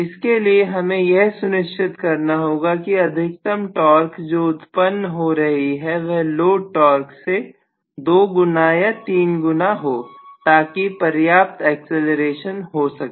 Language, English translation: Hindi, So for which I have to make sure that the maximum torque that is actually generated maybe, you know twice or three times whatever is the load torque, so that enoughacceleration comes